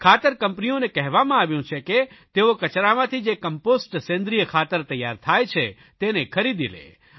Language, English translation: Gujarati, Fertilizer companies have been asked to buy the Compost made out of waste